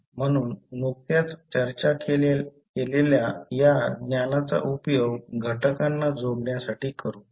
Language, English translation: Marathi, So, this knowledge we just discussed, we will utilized in connecting the components